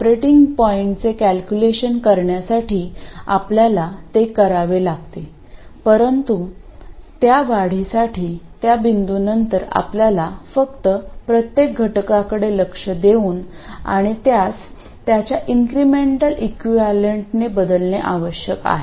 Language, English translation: Marathi, You have to do it for calculating the operating point, but that point onwards for increments, all you have to do is look at each element and replace it by its incremental equivalent